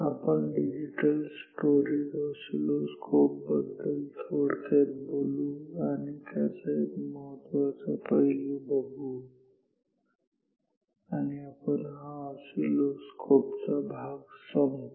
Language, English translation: Marathi, We will talk now briefly about and only one important aspect about digital oscilloscope digital storage oscilloscopes and we will conclude this topic on oscilloscope